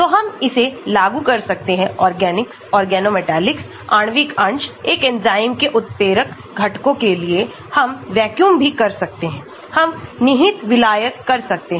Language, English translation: Hindi, so we can apply it for organics, organometallics, molecular fragments, catalytic components of an enzyme, we can also do vacuum, we can do implicit solvent